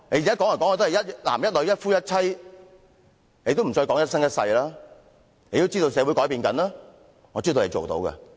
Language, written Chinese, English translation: Cantonese, 現在說"一男一女、一夫一妻"，已經不再說"一生一世"，就是因為知道社會正在改變，我知道他們做得到的。, Nowadays we say monogamy between one man and one woman but for a lifetime is no longer said because of the changes in society . I know they can do it